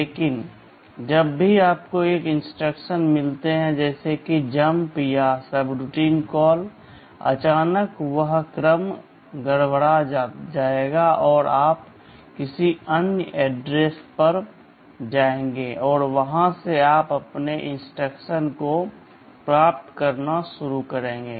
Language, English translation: Hindi, But, whenever you have some instructions like jump or a subroutine call, suddenly that sequence will be disturbed, and you will be going to some other address and from there you will be starting to fetch your instructions